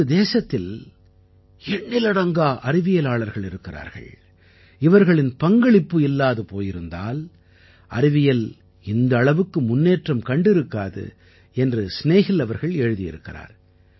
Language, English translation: Tamil, Snehil ji has written that there are many scientists from our country without whose contribution science would not have progressed as much